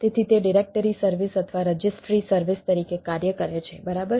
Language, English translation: Gujarati, it acts as a directory service right or registry service